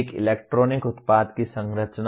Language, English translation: Hindi, Structuring of an electronic product